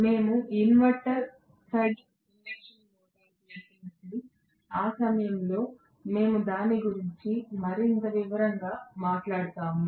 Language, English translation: Telugu, As we going to inverter fed induction motor, at that point we will talk about that in greater detail right